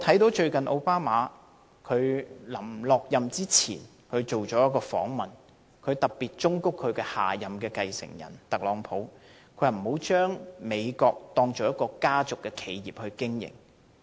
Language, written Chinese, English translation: Cantonese, 奧巴馬卸任前接受了一個訪問，他特別忠告下任繼承人特朗普不要將美國當作家族企業來經營。, In an interview done before OBAMA left office he especially appealed to his successor Donald TRUMP not to run the United States like he operates his family business